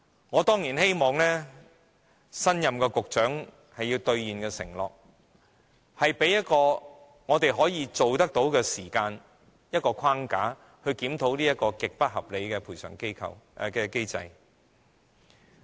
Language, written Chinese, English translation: Cantonese, 我當然希望新任的局長會兌現這項承諾，向我們提交可實行的時間表、框架，檢討這項極不合理的賠償機制。, I of course hope that the new Secretary can fulfil this commitment by submitting to us a feasible timetable and framework to review this extremely unreasonable compensation mechanism